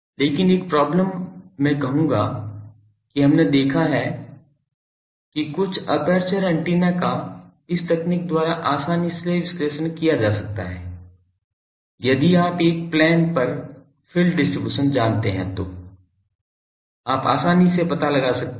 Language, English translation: Hindi, But one problem I will say that we have seen that some of the aperture antennas can be readily analysed by this technique, that is if you know the field distribution over a plane you can easily find it out